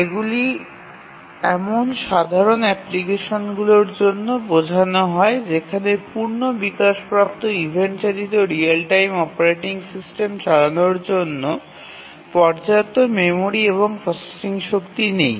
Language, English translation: Bengali, These are also meant for simple applications where there is not enough memory and processing power to run a full blown event driven real time operating system